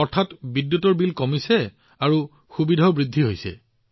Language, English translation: Assamese, Meaning, the electricity bill has also gone and the convenience has increased